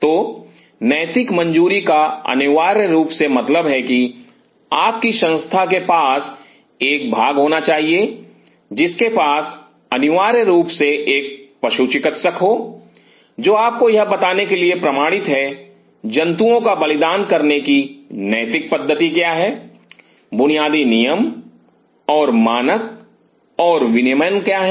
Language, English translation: Hindi, So, ethical clearance essentially means your institute should have a body which essentially have to have a veterinarian, who is certified to tell you that what are the ethical practice of sacrificing animal, what are the basic rules and norms and regulation